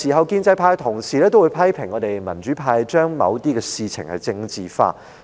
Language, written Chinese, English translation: Cantonese, 建制派同事很多時批評我們民主派把某些事情政治化。, Pro - establishment colleagues often criticize us in the democratic camp for politicizing certain matters